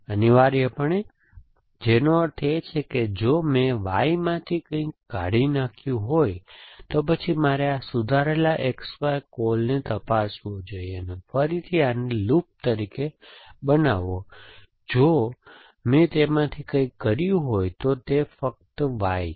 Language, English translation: Gujarati, Essentially, which means if I deleted something from Y then let I should check this revise X Y call, again make this at least time as loop again if I did it something from in this case it is only Y